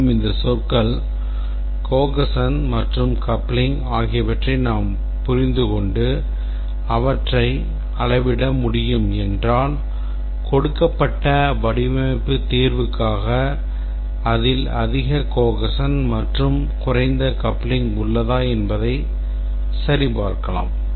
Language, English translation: Tamil, And if we understand these terms, cohesion and coupling and we can measure them, then given a design solution we can check whether it has high cohesion and low coupling compared to another design which is given to us